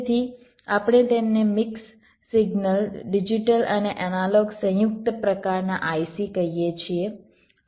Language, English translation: Gujarati, so we call them mix signal, digit digital, an analog combined kind of i c